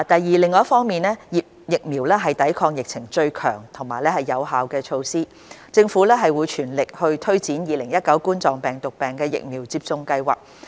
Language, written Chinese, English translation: Cantonese, 二另一方面，疫苗是抵抗疫情最強而有效的措施，政府正全力推展2019冠狀病毒病疫苗接種計劃。, 2 On the other hand noting that vaccination is the strongest and most effective measure to curb the epidemic the Government is implementing the COVID - 19 Vaccination Programme at full speed